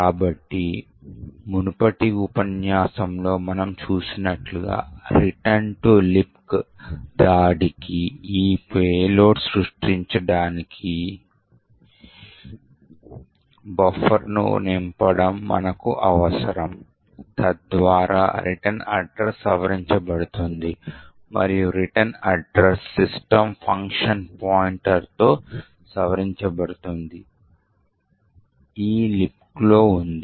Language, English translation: Telugu, So, in order to create this payload for the return to libc attack as we have seen in the previous lecture, what we would require is to fill the buffer so that the return address is modified and the return address is modified with a pointer to the system function, which is present in the libc